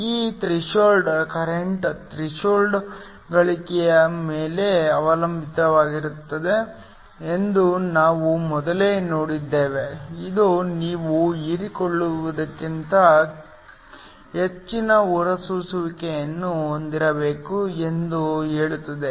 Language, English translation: Kannada, We saw earlier that this threshold current depends upon the threshold gain, which says that you must have emission greater than absorption